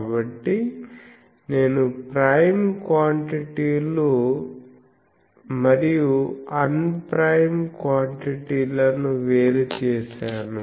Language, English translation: Telugu, So, I have separated the prime quantities and unprime quantities